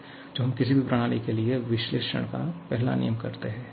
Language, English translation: Hindi, So, this is the way we perform the first law of analysis for any system